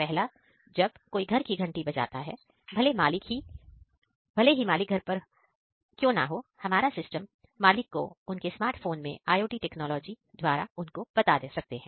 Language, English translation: Hindi, First one is if somebody clicks a doorbell even though the owner of the house is not present at house, our system can inform the owner on a smart phone through IoT technologies